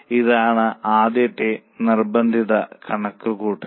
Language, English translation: Malayalam, This is the first compulsory calculation